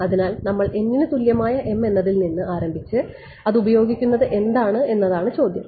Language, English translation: Malayalam, So, the question is what we start with m equal to n and then use that